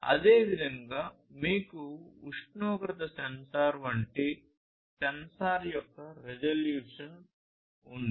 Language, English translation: Telugu, Similarly, you have the resolution of a sensor like a temperature sensor